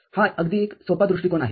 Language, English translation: Marathi, This is a very simple approach